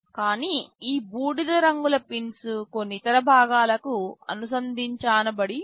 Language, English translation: Telugu, But, these gray colors ones are some pins connected to other components